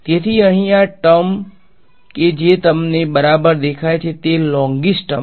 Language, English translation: Gujarati, So, this term over here that you see right it is a longish term